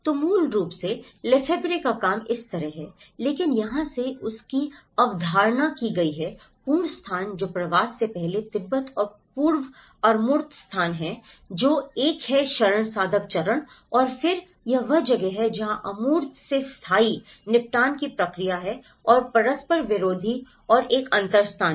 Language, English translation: Hindi, So, originally the Lefebvreís work is like this but in here it has been conceptualized from the absolute space which the Tibet before migration and the pre abstract space which is an asylum seeker stage and then this is where the permanent settlement process from the abstract and the conflicted and a differential space